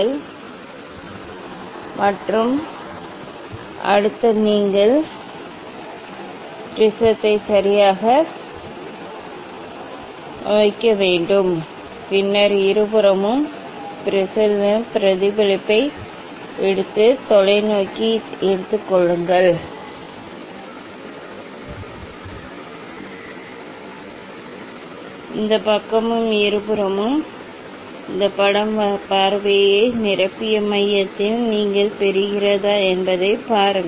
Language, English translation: Tamil, And, then next you have to put the prism ok, and then take the reflection from the prism on both side and you take the telescope, this side and see this whether this image in both side your getting at the centre of the filled up the view